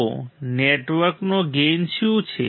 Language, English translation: Gujarati, So, what is the gain of the network